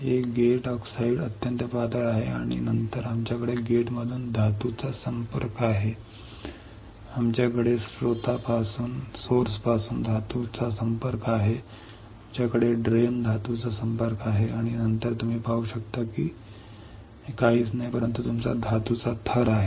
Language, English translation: Marathi, This gate oxide is extremely thin and then we have a metal contact from gate, we have metal contact from source, we have metal contact from drain and then you can see this is nothing, but your metallisation layer